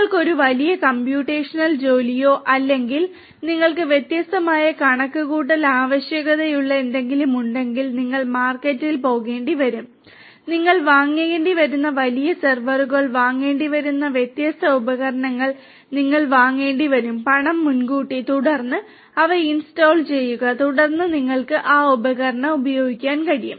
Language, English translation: Malayalam, That if you have a you know huge computational job or you know something where you have different computational requirements you would have to go to the market, you will have to procure the different equipments the big servers you will have to procure you have to buy them you have to pay money upfront and then install them and then you will be able to use those equipments